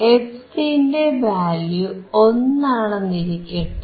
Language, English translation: Malayalam, If I use this, value of fc is 1